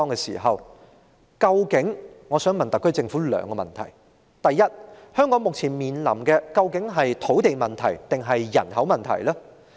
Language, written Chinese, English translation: Cantonese, 就此，我想問特區政府兩個問題：第一，香港目前面對的究竟是土地問題還是人口問題？, In this connection I would like to ask the SAR Government two questions . First does Hong Kong now face a land problem or population problem?